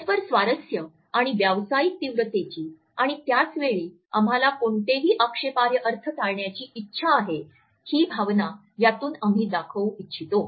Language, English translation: Marathi, The impression which we want to pass on is that of mutual interest and a professional intensity and at the same time we want to avoid any offensive connotations